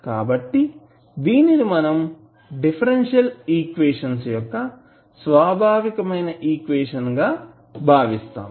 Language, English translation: Telugu, So, this will be considered as a characteristic equation of the differential equation